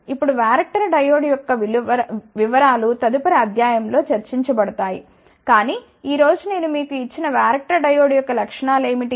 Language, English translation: Telugu, Now, the details of varactor diode will be discussed in the next lecture , but today I will just tell you what are the specifications of a given varactor diode